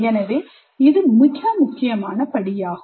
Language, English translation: Tamil, So this is a very important step